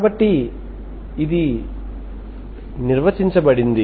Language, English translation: Telugu, So like that to define this